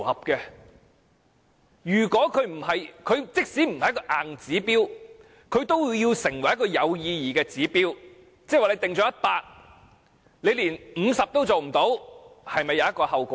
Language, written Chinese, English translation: Cantonese, 我認為，即使《規劃標準》不是硬指標，都要成為有意義的指標；假如標準訂為 100， 但政府連50都做不到，是否應要承擔後果？, In my opinion even though it may be inappropriate for HKPSG to prescribe hard and fast targets the targets specified should at least be meaningful . For instance if a target of 100 places is prescribed under HKPSG should the Government be held responsible if it fails to provide 50 places?